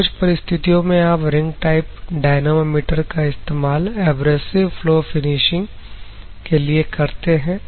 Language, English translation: Hindi, So, there are some of the applications where you will use ring type dynamometer is like abrasive flow finishing process and other things